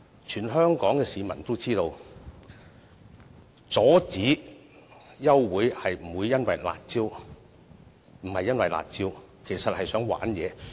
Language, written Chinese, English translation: Cantonese, 全香港市民都知道，阻止休會待續並非因為"辣招"，而是想"玩嘢"。, All people in Hong Kong know that they have attempted to stop the adjournment motion not for the curb measures but for playing tricks